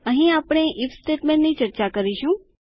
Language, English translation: Gujarati, Here we will discuss the IF statement